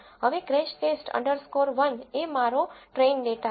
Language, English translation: Gujarati, Now, crashTest underscore 1 is my train data